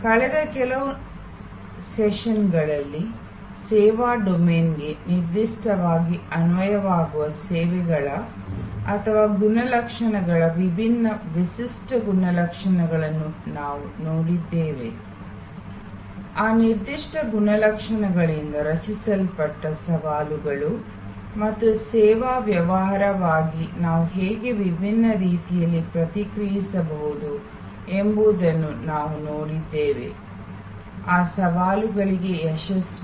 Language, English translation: Kannada, In the last few sessions, we have looked at the different unique characteristics of services or characteristics that particularly apply to the service domain, the challenges that are created by those particular characteristics and we have seen how in different ways as a service business we can respond to those challenges successfully